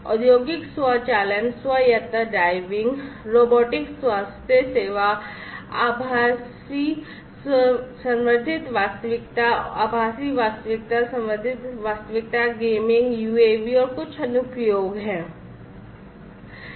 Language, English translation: Hindi, Applications for use industrial automation, autonomous driving, robotics, healthcare, virtual augmented reality, virtual reality augmented reality gaming, UAVs and so on